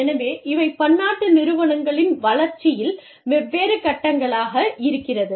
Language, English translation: Tamil, So, these are the different stages, in the development of multinational enterprises